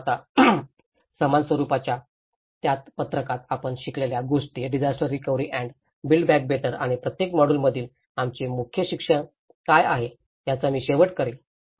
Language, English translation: Marathi, But now, I will conclude with what we learnt in the same sheet of the same format, disaster recovery and build back better and this course from each module what are our key learnings